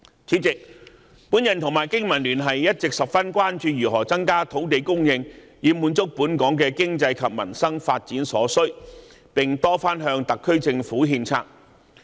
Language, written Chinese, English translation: Cantonese, 主席，我和香港經濟民生聯盟一直十分關注如何增加土地供應以滿足本港的經濟及民生發展所需，並多番向特區政府獻策。, President the Business and Professionals Alliance for Hong Kong and I have all along been concerned about the means to increase land supply to satisfy the needs for the development of Hong Kong economy and peoples livelihood